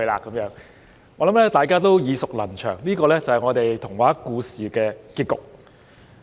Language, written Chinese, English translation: Cantonese, 我想大家都耳熟能詳，這是童話故事的結局。, I reckon we all know this ending of a fairy tale very well